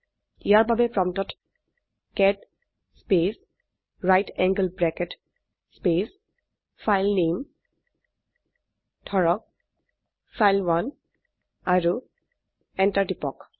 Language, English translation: Assamese, For this type at the prompt cat space right angle bracket space filename say file1 and press enter